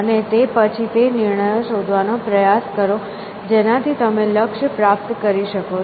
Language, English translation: Gujarati, And then try to find those decisions, which will achieve the goal that you are aiming at